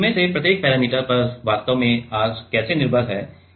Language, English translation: Hindi, Now, what is the how on each of these parameter actually R is dependent on each of this parameter